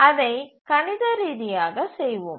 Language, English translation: Tamil, Now, let's do it mathematically